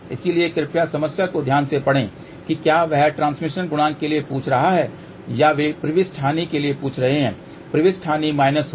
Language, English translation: Hindi, So, please read the problem carefully whether they are asking for transmission coefficient or whether they are asking for insertion loss insertion loss will have minus